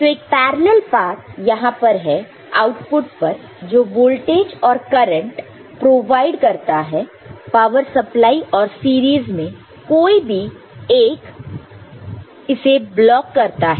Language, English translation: Hindi, So, there is a parallel path here at the output providing the voltage and the current, the power supply and in the series any one of them is blocking it one of them is blocking it ok